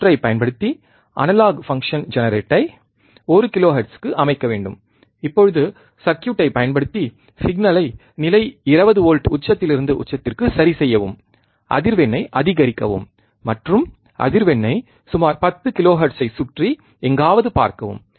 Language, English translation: Tamil, Using the circuit set analog function generator to 1 kilohertz now using the circuit adjust the signal level 20 volts peak to peak increase the frequency and watch the frequency somewhere about 10 kilohertz